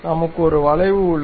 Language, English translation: Tamil, So, we have a curve